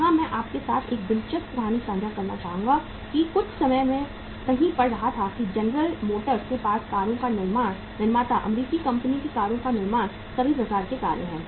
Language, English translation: Hindi, Here I will like to share one interesting uh story with you that some time I was reading somewhere that General Motors had who is a manufacturer of cars, American company manufacturing cars, all type of the cars